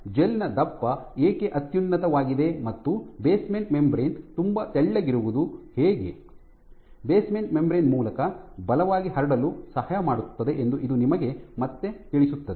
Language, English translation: Kannada, So, this again conveys to you why the thickness of the gel is paramount and how the basement membrane being very thin can be helpful for forces being transmitted across the basement membrane